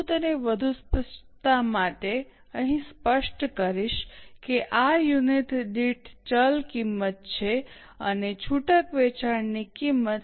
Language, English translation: Gujarati, I will specify it here for more clarity that this is variable cost per unit and concessional selling price is C44 into 1